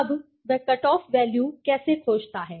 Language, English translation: Hindi, Now, how does he find the cut off value